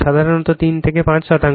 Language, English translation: Bengali, Generally your 3 to 5 percent, right